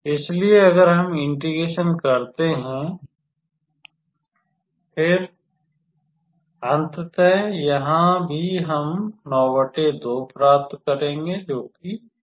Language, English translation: Hindi, So, if we integrate; then, ultimately here also we will obtain 9 by 2; so, 4 by 4